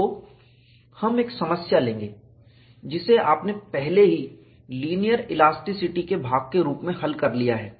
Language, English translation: Hindi, So, we will take up a problem, which you have already solved as part of the linear elasticity